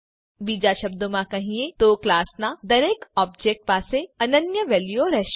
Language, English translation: Gujarati, In other words each object of a class will have unique values